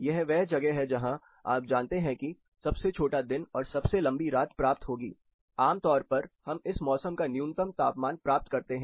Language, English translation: Hindi, This is where you know you get the shortest day and longest night typically we get minimum temperatures in this particular season